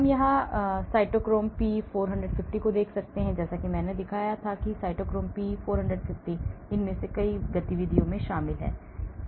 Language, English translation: Hindi, We can even look at say cytochrome P 450 as I had showed before cytochrome P 450 is involved in many of these activities